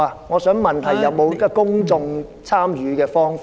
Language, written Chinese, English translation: Cantonese, 我是問有否公眾參與的方法？, I asked if there was any way for public participation